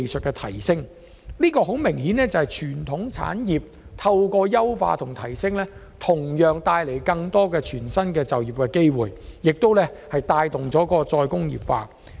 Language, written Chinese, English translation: Cantonese, 這個例子清楚顯示，傳統產業的優化和提升同樣可帶來全新的就業機會，並且帶動再工業化。, This is a clear example showing that the optimization and enhancement of traditional industries can also bring new job opportunities and promote re - industrialization